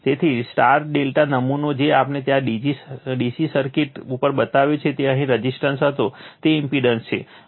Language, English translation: Gujarati, So, star delta sample that we have shown at DC circuit there, it was resistance here it is impedance right